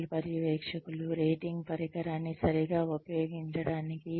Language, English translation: Telugu, Train supervisors, to use the rating instrument, properly